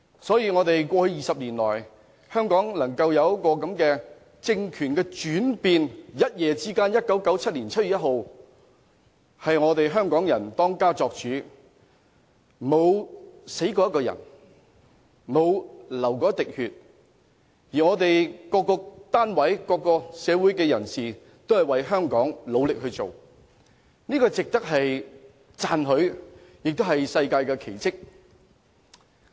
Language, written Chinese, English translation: Cantonese, 在20年前，香港出現了政權轉變，在1997年7月1日，一夜之間香港人當家作主，沒死過一個人，沒流過一滴血，各單位和社會人士都為香港努力做事，這是值得讚許的，也是一項世界奇蹟。, Two decades ago a change of regime took place in Hong Kong . On 1 July 1997 people of Hong Kong became their own master overnight without any death or bloodshed . The efforts made by all organizations and members of the community for Hong Kong are commendable